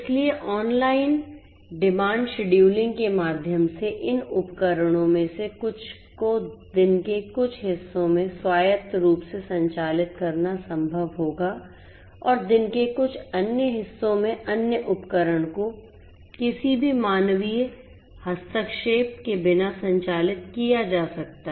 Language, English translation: Hindi, So, through online demand scheduling it would be possible to have some of these devices operate autonomously in certain parts of the day and in certain other parts of the day other devices may be operated without any human intervention